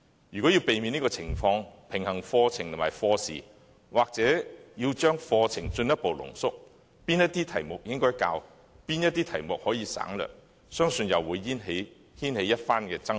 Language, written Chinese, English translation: Cantonese, 如果要避免出現這種情況，平衡課程和課時，課程或須進一步濃縮，屆時哪些題目應教授、哪些題目可以省略，相信又會掀起一番爭論。, To pre - empt such situations and strike a balance between the contents and class hours the curriculum may need to be compressed further . Then I believe there will be a great controversy surrounding which topics to cover and which ones to skip